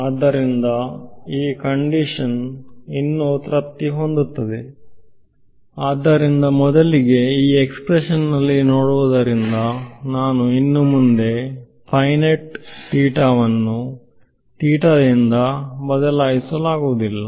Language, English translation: Kannada, So, will this condition still be satisfied; so, first of all looking at this expression over here I can no longer replace sin theta by theta